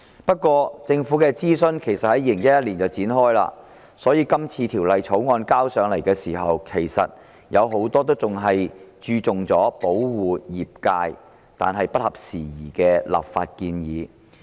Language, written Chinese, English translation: Cantonese, 不過，政府的諮詢在2011年展開，所以今次提交立法會的《條例草案》，有很多立法建議只着重保護業界並已不合時宜。, However since the government consultation was launched in 2011 many of the legislative proposals in the Bill currently introduced into the Legislative Council to protect the trade are outdated